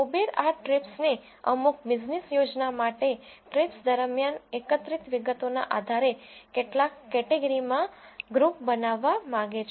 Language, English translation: Gujarati, Uber wants to group this trips into certain number of categories based on the details collected during the trips for some business plan